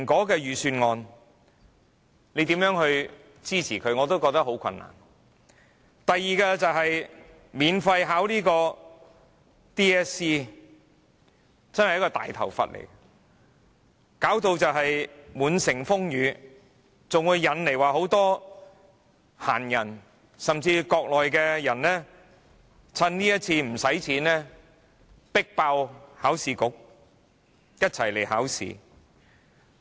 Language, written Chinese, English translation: Cantonese, 第二，是建議讓考生免費考香港中學文憑考試，真是一個"大頭佛"，弄得滿城風雨，還會引來很多閒人，甚至國內的人乘此次免費考試迫爆考試局，一起來考試。, Secondly the Government by proposing a free Hong Kong Diploma of Secondary Education Examination for candidates has got itself in a mess and is causing serious troubles . Taking advantage of this measure other people including Mainland people will also be attracted to take this free examination together